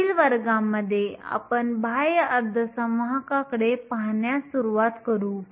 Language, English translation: Marathi, In next class, we will start to look at extrinsic semiconductors